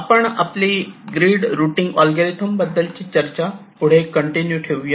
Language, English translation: Marathi, so we continue with our discussions on the grid routing algorithms